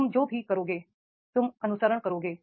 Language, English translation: Hindi, Whatever you will do you will follow